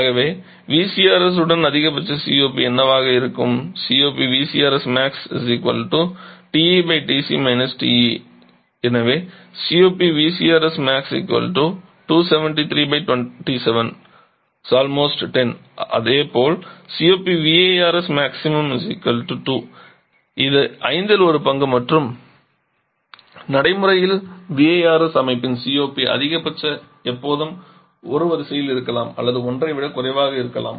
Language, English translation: Tamil, So, if you calculate it may be roughly equal to just 2 it is only one fifth and practical the COP of VRS system is a maximum on is always of the order of 1 or maybe one less than 1